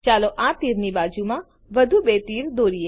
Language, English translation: Gujarati, Let us draw two more arrows next to this arrow